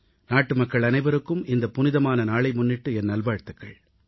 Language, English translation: Tamil, Heartiest greetings to all fellow citizens on this auspicious occasion